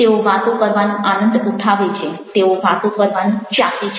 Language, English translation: Gujarati, they enjoy talking, they love talking